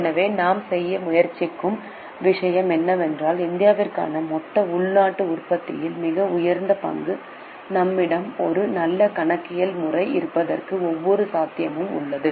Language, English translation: Tamil, So, the point I am trying to make is considering that a very high share of GDP for India, there is every possibility that we had a good system of accounting